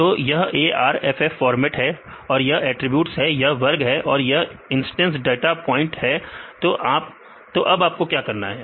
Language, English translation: Hindi, So, this is the arff format you have this is the attributes; this is the class and this is the instance data points, so now what you have to do